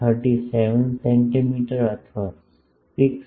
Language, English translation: Gujarati, 37 centimeter or 6